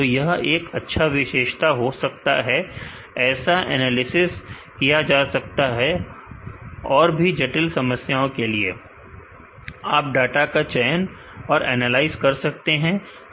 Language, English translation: Hindi, So, it could be a potential good feature, such analysis can be done here for more complicated problems, you can choose and analyze the data